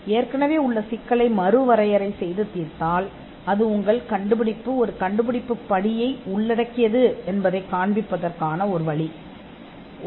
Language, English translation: Tamil, If you redefine an existing problem and solve it; that is yet another yet another way to show that your invention involves an inventive step